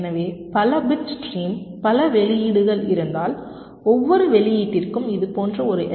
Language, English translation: Tamil, so if there are multiple bit stream, multiple outputs, you need one such l f s r for every output